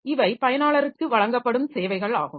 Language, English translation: Tamil, So, that is the services that are provided to the user